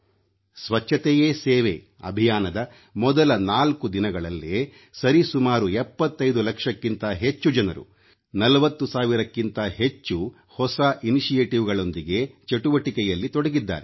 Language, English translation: Kannada, It is a good thing and I am pleased to know that just in the first four days of "Swachhata Hi Sewa Abhiyan" more than 75 lakh people joined these activities with more than 40 thousand initiatives